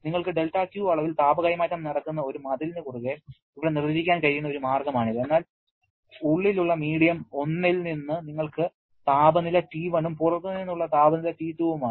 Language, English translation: Malayalam, This is a way we can define like here across a wall you are having del Q amount of heat transfer but inside in medium 1 we have a temperature T1, outside temperature is T2